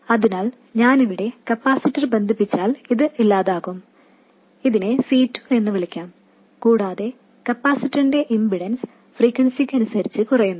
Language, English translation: Malayalam, So, this will go away if I connect a capacitor here and also let me call this C2 and also the impedance of the capacitor drops with frequency